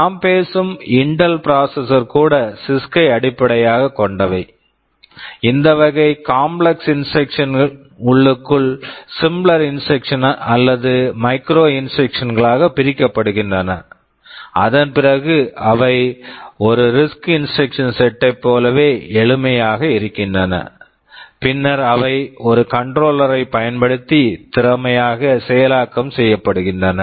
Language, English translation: Tamil, So, even the Intel processors I am talking about those are based on CISC; internally these complex instructions are broken up into simpler instructions or micro instructions, they look more like a RISC instruction set, which are then executed efficiently using a controller